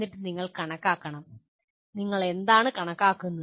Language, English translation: Malayalam, And then you have to calculate, what do you calculate